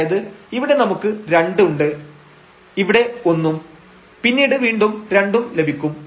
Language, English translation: Malayalam, So, we have here 2 and here we have 1 and then 2 again